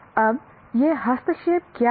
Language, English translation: Hindi, Now, what are these interventions